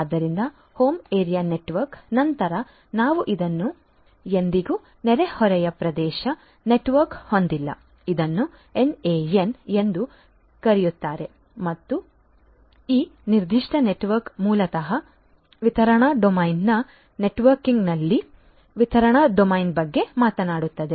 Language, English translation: Kannada, So, home area network, after home area network we will have this never neighborhood area network in short it is also known as the NAN and so, this particular network basically talks about the distribution domain in the networking of the distribution domain